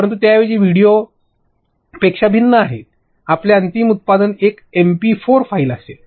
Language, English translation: Marathi, But instead of that it is a contrast to a video, your final product will be an mp4 file